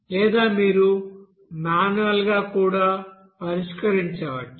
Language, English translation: Telugu, Or you can solve by manually also